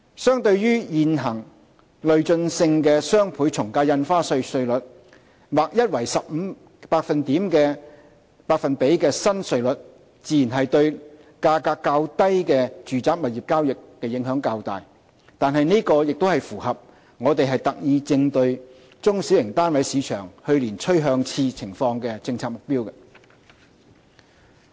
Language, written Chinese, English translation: Cantonese, 相對現行累進性的雙倍從價印花稅稅率，劃一為 15% 的新稅率自然對價格較低的住宅物業交易影響較大，但這亦符合我們特意應對中小型單位市場去年趨向熾熱情況的政策目標。, While the new flat rate of 15 % naturally has a larger impact on lower - priced residential property transactions compared to the existing DSD rates which are progressive this is also in line with our policy intent of addressing the trend of exuberance in the mass market in particular last year